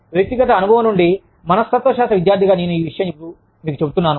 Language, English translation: Telugu, I am telling you this, from personal experience, as a student of psychology